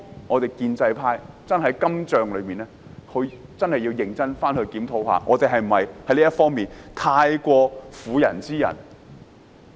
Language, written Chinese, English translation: Cantonese, 我們建制派對於今仗真的要認真檢討，我們是否太過婦人之仁。, With regard to this battle we in the pro - establishment camp must seriously review whether we have been excessively merciful